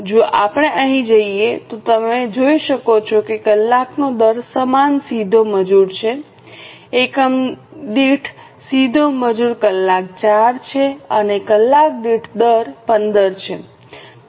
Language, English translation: Gujarati, If we go here you can see that the hour rate is same, direct labour hour per unit is 4 and hourly rate is 15